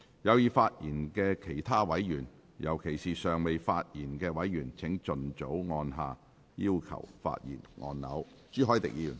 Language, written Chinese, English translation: Cantonese, 有意發言的其他委員，尤其是尚未發言的委員，請盡早按下"要求發言"按鈕。, Members who wish to speak in particular those who have not yet spoken please press the Request to speak button as early as possible